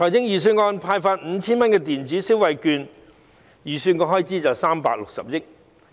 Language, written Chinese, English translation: Cantonese, 預算案提出派發 5,000 元的電子消費券，預算開支為360億元。, The Budget proposes to issue electronic consumption vouchers with a total value of 5,000 which will incur an estimated expenditure of 36 billion